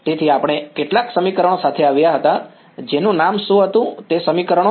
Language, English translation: Gujarati, So, we had come up with couple of equations what was the name of those equations